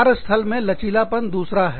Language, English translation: Hindi, Then, workplace flexibility, is another one